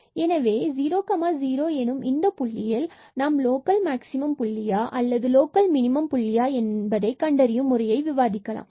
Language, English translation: Tamil, So, at this 0 0 point, we have to now discuss for the identification whether this is a point of local maximum or it is a point of local minimum